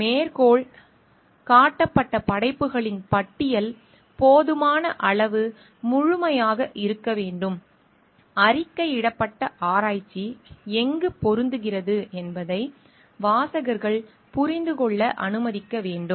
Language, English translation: Tamil, List of works cited should be sufficiently complete to allow readers to understand where the reported research fits in